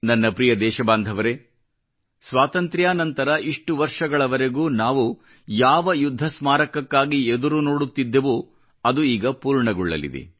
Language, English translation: Kannada, My dear countrymen, the rather long wait after Independence for a War Memorial is about to be over